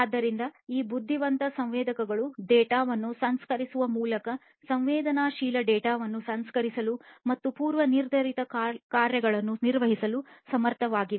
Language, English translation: Kannada, So, these intelligent sensors are capable of processing sensed data and performing predefined functions by processing the data